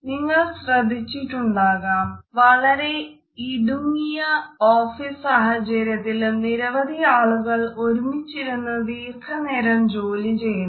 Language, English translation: Malayalam, You might have also noticed that in close offices spaces also, where a good number of people have to sit and work for long hours